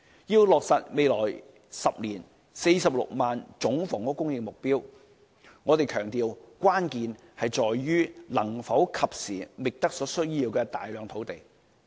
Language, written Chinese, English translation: Cantonese, 要落實未來10年46萬個總房屋供應目標，我們強調關鍵在於能否及時覓得所需要的大量土地。, We emphasize that the key to meeting the 460 000 housing target in the next 10 years hinges on whether the massive amount of land needed can be identified in time